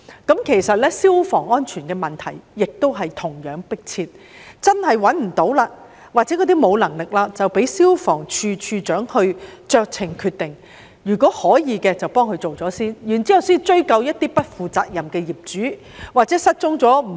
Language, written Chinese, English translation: Cantonese, 事實上，消防安全問題同樣迫切，倘若真的無法找到相關業主，又或部分業主沒有能力，便應讓消防處處長酌情決定，在可行情況下先替業主處理問題，然後才追究不負責任、失蹤、過世的業主。, In fact the fire safety issue is equally pressing and if it is really impossible to locate the owners concerned or if some owners find it beyond their affordability the Director of Fire Services should be given the discretion to deal with the problems for the owners first as far as practicable before looking into the responsibilities of those irresponsible missing or deceased owners